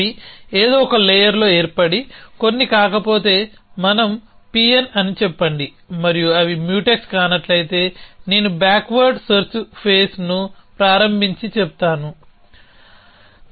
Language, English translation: Telugu, So, if they occur in some layer and they are not some let us say P n and they are not Mutex then I start a backward search face and say